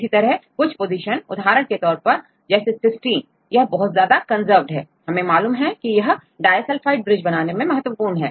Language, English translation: Hindi, Likewise say some positions for example, some cysteine this very highly conserved, we know that forming disulfide bridge